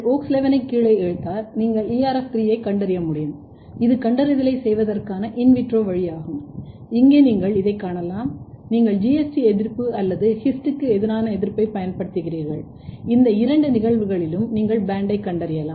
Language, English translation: Tamil, If you pull down WOX11 you can detect ERF3 and this is in vitro way of doing the detection and here you can see that, either you use anti GST or anti His in both the cases you can detect the band